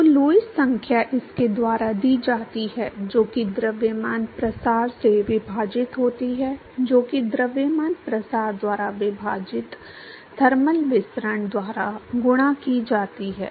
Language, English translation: Hindi, So, Lewis number is given by that is momentum diffusivity divided by mass diffusivity, multiplied by thermal diffusivity divided by mass diffusivity